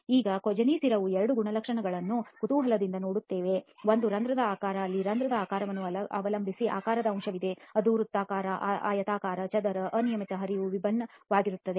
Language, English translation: Kannada, Now this Kozeny constant interestingly looks at two characteristics, one is the shape of the pore there is the shape factor that means depending upon the shape of the pore whether it is circular, rectangular, square, irregular the flow will be quite different